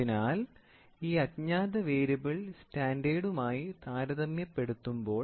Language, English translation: Malayalam, So, when it this unknown is come and it is compared with the standard